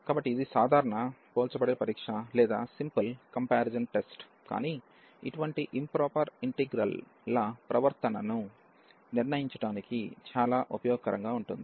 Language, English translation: Telugu, So, it is a simple comparison test, but very useful for deciding the behavior of such improper integrals